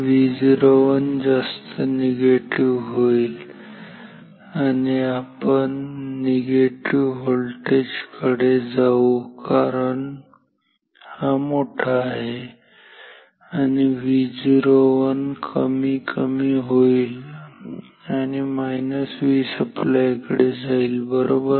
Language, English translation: Marathi, V o 1 will become negative we will try to go towards negative because this is higher, then V o 1 will decrease will go down towards minus V supply right